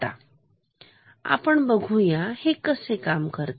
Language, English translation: Marathi, So, let us see it how it works